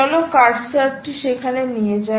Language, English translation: Bengali, take the cursor there